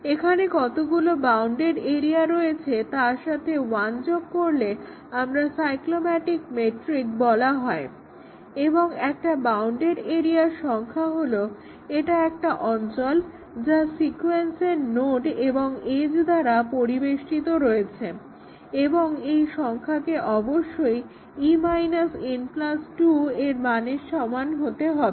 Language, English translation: Bengali, Here we look at the graph and find out how many total number of bounded areas are there, how many bounded area are there plus one that also gives us the cyclomatic metric and the definition of a bounded area is that a region enclosed by nodes and edges in sequence and this number should match exactly with the one computed by e minus n plus 2